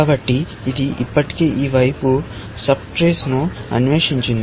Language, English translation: Telugu, So, it has the already explored the sub trees this side